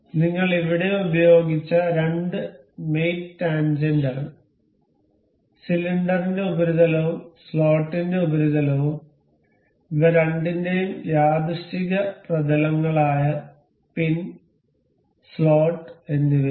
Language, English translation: Malayalam, The two the two mates we have used here is tangent, the surface of the cylinder and the surface of the slot and the coincidental planes of the both of these, the pin and the slot